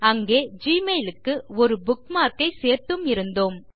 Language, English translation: Tamil, We had also added a bookmark for gmail there